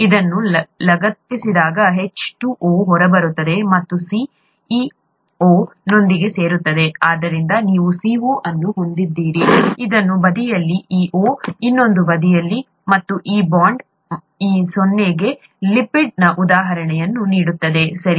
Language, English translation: Kannada, When this gets attached, the H2O gets out and the C joins with this O, so you have a CO, on the other side this O, on the other side, and this bond going onto this O to provide an example of a lipid, okay